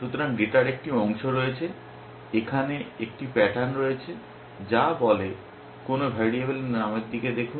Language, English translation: Bengali, So, there is a piece of data, here there is a pattern which says turn to some variable name